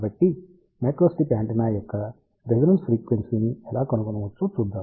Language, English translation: Telugu, So, let us see how we can find the resonance frequency of a microstrip antenna